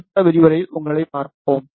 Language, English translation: Tamil, We will see you in the next lecture